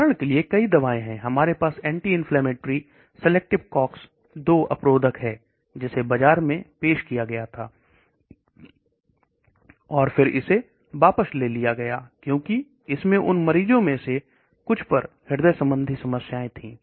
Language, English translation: Hindi, For example, there are many drugs, we have the anti inflammatory, selective Cox 2 inhibitor which was introduced into the market, and then it was withdrawn because it had cardiovascular issues on some of those patients who took that